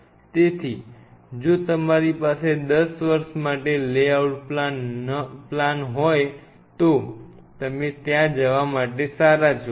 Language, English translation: Gujarati, So, if you have a lay out plan for 10 years you are good to go